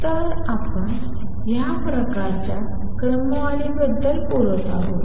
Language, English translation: Marathi, So, that is the kind of orders we talking about